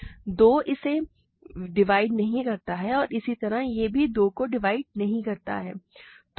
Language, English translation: Hindi, 2 does not divide this similarly this also does not divide 2